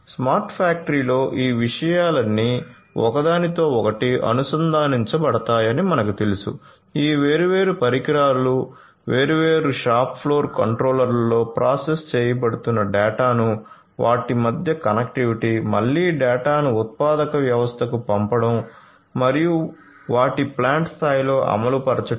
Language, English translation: Telugu, So, you know in a smart factory all of these things are going to be interconnected, these different devices throwing in lot of data being processed in the shop floor different controllers connectivity between them, again sending the data to the manufacturing system and their execution at the plant level